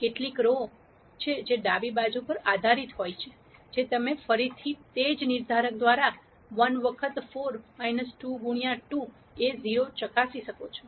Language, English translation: Gujarati, That is there are some rows which are linearly dependent on the left hand side, which you can again verify by the same determinant 1 times 4 minus 2 times 2 is 0